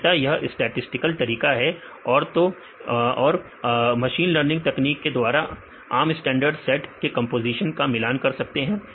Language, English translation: Hindi, Mainly with this statistical methods as well as the machine learning techniques, in statistical methods we can compare the composition of the standard set